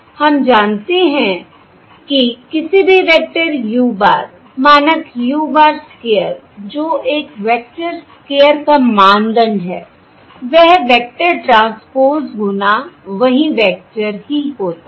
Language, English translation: Hindi, We know that for any vector, u bar norm, u bar square, that is norm of a vector square, is the vector transpose times itself